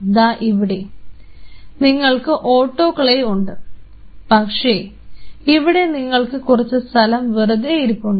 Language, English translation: Malayalam, So, we have the autoclave here, but then you have a space out there